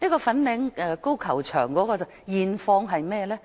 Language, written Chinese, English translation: Cantonese, 粉嶺高球場的現況如何？, What is the current position of the Fanling Golf Course?